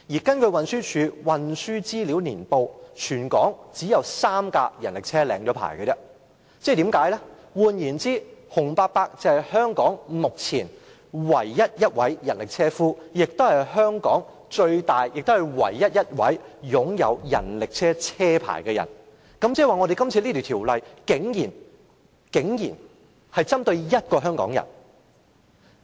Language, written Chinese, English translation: Cantonese, 根據運輸署《運輸資料年報》，全港只有3輛人力車已領牌，換言之，洪伯伯是香港目前唯一一位人力車車夫，亦是唯一一位擁有人力車車牌的人，即是說，這項《修訂規例》竟然是針對一位香港人。, According to the Annual Transport Digest published by the Transport Department there are only three licensed rickshaws in Hong Kong . In other words Uncle HUNG is the one and only rickshaw puller in Hong Kong and he is also the one and only holder of a rickshaw licence . In other words the Amendment Regulation just targets one Hong Kong citizen